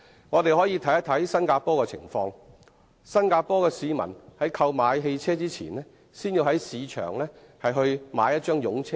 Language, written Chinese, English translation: Cantonese, 我們可以看看新加坡的情況，當地市民在購買汽車前，必須先在市場購買一張"擁車證"。, Let us consider the situation in Singapore . A Singaporean has to buy a certificate of entitlement before buying a vehicle